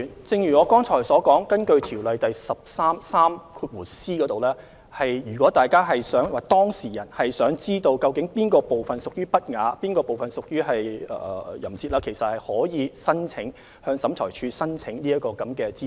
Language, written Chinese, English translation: Cantonese, 正如我剛才所說，根據《條例》第 143c 條，如果當事人想知悉究竟書中哪部分屬淫褻或不雅，可以向審裁處申請以取得有關資訊。, In accordance with section 143c of COIAO if the person concerned wishes to find out which part of the book causes the obscenity or indecency he may apply to OAT to get the relevant information